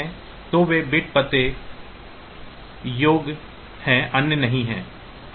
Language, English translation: Hindi, So, they are bit addressable others are not